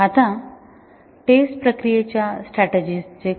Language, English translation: Marathi, Now, what about the test process strategy